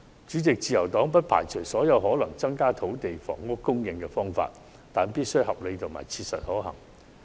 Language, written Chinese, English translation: Cantonese, 主席，自由黨不排除任何可能增加土地及房屋供應的方法，但必須合理及切實可行。, President the Liberal Party does not rule out any potential means that can increase the supplies of land and housing as long as they are reasonable and feasible